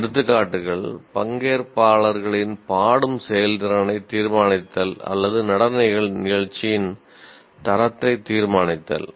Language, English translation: Tamil, So some examples are judge the singing performance of participants or judge the quality of a dance performance